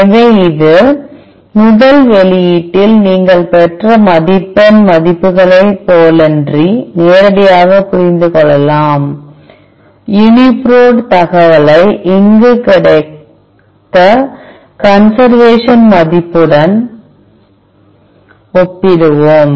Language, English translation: Tamil, So, this is can be directly interpreted unlike the score values, which you obtained in the first output for example, let us compare the UniProt information with the corresponding conservation value we got here